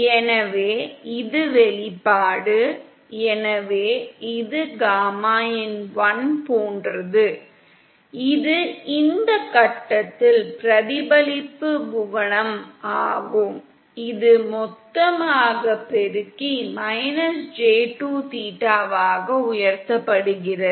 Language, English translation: Tamil, So this is the expression, so this is like gamma in1 which is the reflection coefficient at this point multiplied the total by e raised to –j2 theta